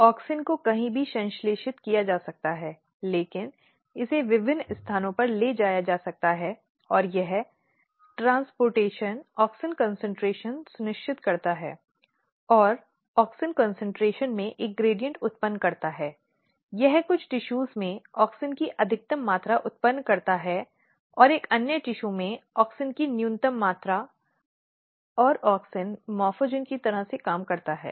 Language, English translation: Hindi, So, auxin can be synthesized somewhere, but it can be transported to different places and this transportation basically ensures auxin concentration and what happens that this basically generates a kind of gradient in the auxin concentration, it generates maximum amount of auxin in some tissues minimum amount of auxin in another tissue and auxin works like a morphogen